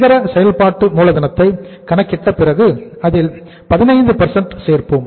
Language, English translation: Tamil, This is net working capital but at this stage we have to add something more